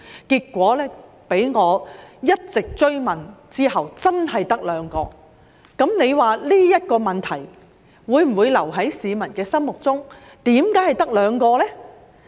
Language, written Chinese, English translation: Cantonese, 結果在我一直追問之下，發現真的只有兩個，你說這問題會否留在市民心中，思疑為何只有兩個呢？, After making persistent enquiries I found that there were really just two cases . Will the public keep thinking of this incident and wondering why there were just two cases?